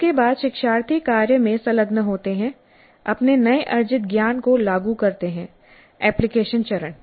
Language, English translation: Hindi, This is followed by the learners engaging with the task applying their newly acquired knowledge so that is the application phase